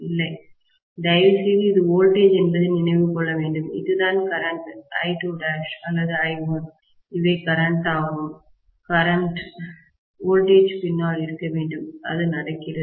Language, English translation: Tamil, No, see please remember that this is voltage, whereas this is current, I2 dash or I1, these are currents, currents should lag behind the voltage, which is happening